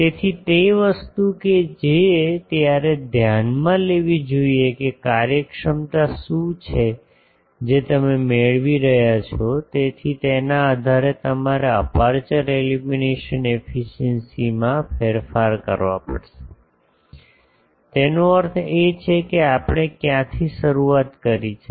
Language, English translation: Gujarati, So, that thing that you should consider that what is a efficiency you are getting; so, based on that you will have to modify the aperture illumination efficiency; that means, where from we have started